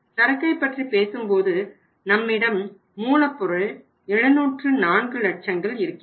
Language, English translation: Tamil, When you talk about the inventories we have inventory of raw material of 704 lakhs